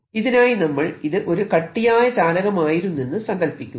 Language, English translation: Malayalam, let me assume that this whole thing was a solid conductor